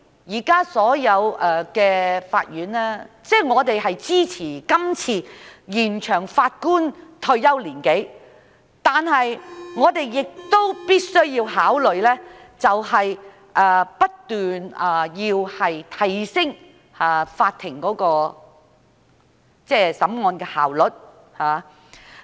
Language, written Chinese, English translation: Cantonese, 因此，我們支持今次延展法官的退休年齡，但我們亦必須不斷提升法庭審案的效率。, Therefore we support the extension of the retirement age of the Judges as currently proposed but we must also continuously upgrade the efficiency of the Courts in hearing cases